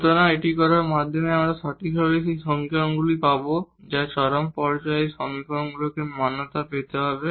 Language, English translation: Bengali, So, by doing this we will precisely get those equations which we have derived that at the point of extrema these equations must be satisfied